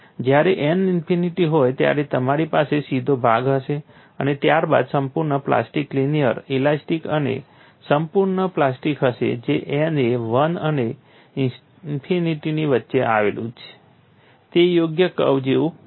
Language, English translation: Gujarati, When n is infinity, if n is 1 it will go straight when n is infinity you will have a straight portion followed by a fully plastic linear elastic and fully plastic n which lies between 1 and infinity would be like a suitable curve that is how you modeled a material behavior